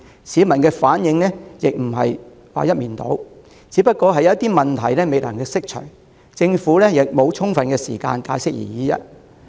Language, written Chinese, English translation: Cantonese, 市民的反應亦非一面倒，只是有些疑問未能釋除，政府亦沒有充足時間解釋而已。, Moreover the public reaction on the issue is far from unanimous there are some lingering doubts and the Government lacks sufficient time to make explanations